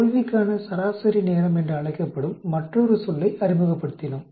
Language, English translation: Tamil, Then we introduced another term that is called mean time to failure